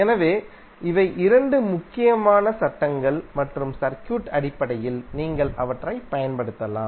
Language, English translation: Tamil, So these are the 2 important laws based on the circuit you can apply them